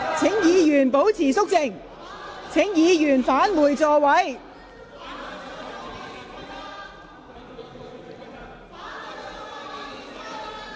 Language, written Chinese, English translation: Cantonese, 請各位保持肅靜。請議員返回座位。, Will Members please keep quiet and return to their seats